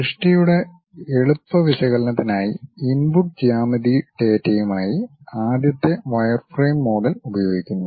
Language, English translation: Malayalam, The first wireframe model are used as input geometry data for easy analysis of the work